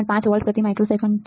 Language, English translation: Gujarati, 5 volts per microsecond right